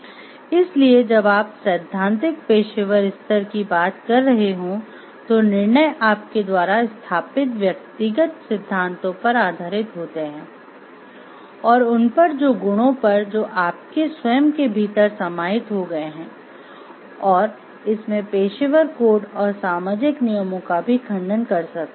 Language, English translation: Hindi, So, decision at this stage when you are talking of principle professional stage and based on your well established personal principles that the virtues that have got ingrained within oneself and may contradict professional codes and social rules also